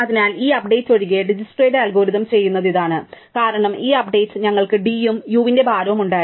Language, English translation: Malayalam, So, this is exactly what Dijkstra's algorithm does except for this update, in this update we add d of u plus the weight of u, right